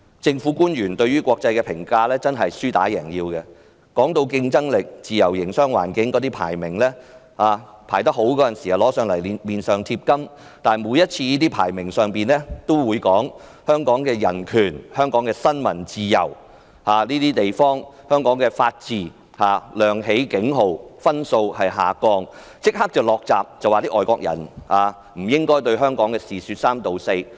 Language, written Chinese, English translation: Cantonese, 政府官員對於國際對香港的評價是"輸打贏要"，當香港的競爭力和自由營商環境的排名高時，便拿出來往自己臉上貼金，但當國際社會談及香港的人權、新聞自由和法治亮起警號，分數下降時，政府便立即"落閘"，說外國人不應對香港的事說三道四。, Government officials act like a sore loser in respect of the international communitys views on Hong Kong . When the rankings of Hong Kongs competitiveness and free business environment are high they congratulate themselves on such success but when the international community sounds an alarm concerning human rights freedom of the press and the rule of law in Hong Kong and when our rankings fall the Government immediately shuts the door and tells foreigners to stop making irresponsible remarks . To put it nicer the Government claims that foreigners do not understand our situation